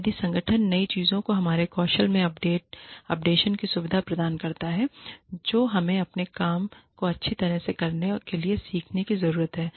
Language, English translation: Hindi, If the organization facilitates, our updation, of our skills, of the new things, that we need to learn, in order to do our work, well